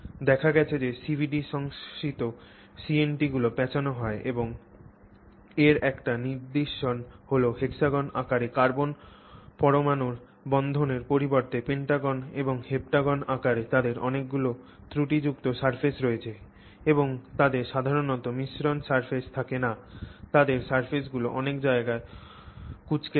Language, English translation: Bengali, It turns out that the CVD synthesized CNTs tend to be coiled and an implication of that is that they have a lot of surface defects in the form of pentagons and heptagons as opposed to only hexagonally bonded carbon atoms and they generally don't have a smooth surface, they have a lot of wrinkles on the surface, they have pinched locations in the surface and so on